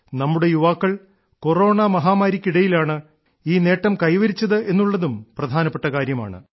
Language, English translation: Malayalam, This is also a big thing because our youth have achieved this success in the midst of the corona pandemic